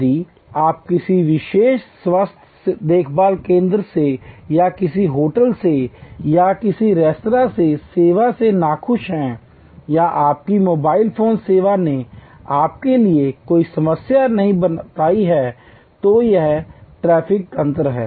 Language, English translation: Hindi, If you are unhappy with the service from a particular health care center or from a hotel or from a restaurant or your mobile phone service has created a problem for you by not explaining it is tariff mechanism